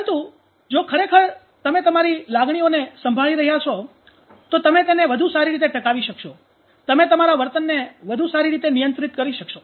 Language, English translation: Gujarati, But if you are actual taking charge of your emotions you can sustain better, you can regulate your behavior better